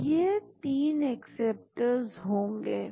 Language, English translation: Hindi, So, this will be the 3 acceptors